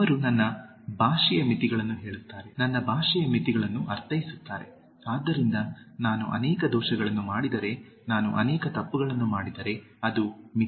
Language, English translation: Kannada, So, he says the limits of my language, mean the limits of my language, so if I make many errors, if I commit many mistakes that is the limitation